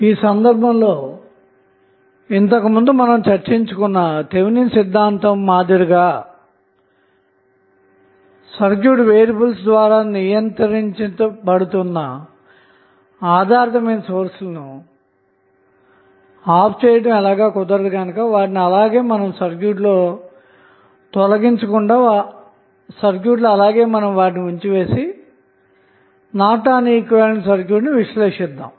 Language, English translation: Telugu, So, in that case, the as with the Thevenin's we discussed previously the Independent sources cannot be turned off as they are controlled by the circuit variables, since we have the dependency in the case of dependent sources, we cannot remove them from the circuit and we analyze the circuit for Norton's equivalent by keeping the dependent sources connected to the circuit